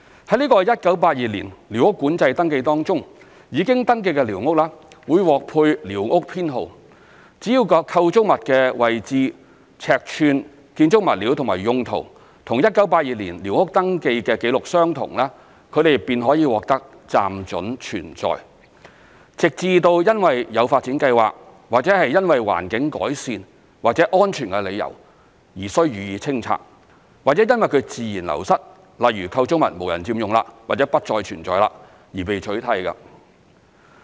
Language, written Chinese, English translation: Cantonese, 在這個1982年寮屋管制登記當中，已經登記的寮屋會獲配寮屋編號，只要構築物的位置、尺寸、建築物料及用途與1982年寮屋登記紀錄相同，它們便可獲得"暫准存在"，直至因為有發展計劃，或因為環境改善或安全理由而須予以清拆，或因自然流失，例如構築物無人佔用或不再存在，而被取締。, In the Squatter Control Survey SCS in 1982 registered squatters were given a survey number . As long as the registered location size building materials and uses of a squatter structure are the same as those recorded in SCS in 1982 the squatter is tolerated on a temporary basis until it is required to be cleared for development or for environmental improvement or safety reasons; or it is phased out through natural wastage eg . it has no occupant or it no longer exists